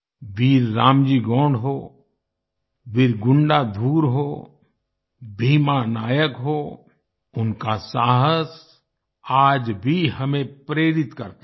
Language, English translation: Hindi, Be it Veer RamJi Gond, Veer Gundadhur, Bheema Nayak, their courage still inspires us